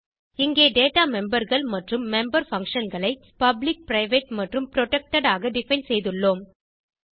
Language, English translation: Tamil, And here we have defined the Data members and the member functions as public, private and protected